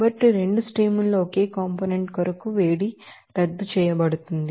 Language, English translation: Telugu, So, heat of formation for the same component in both the streams will be cancelled out